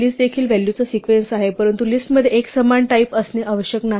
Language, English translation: Marathi, A list is also a sequence of values, but a list need not have a uniform type